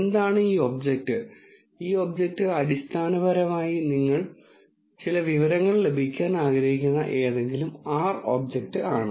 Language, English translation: Malayalam, What is this object, this object is essentially any R object about which you want to have some information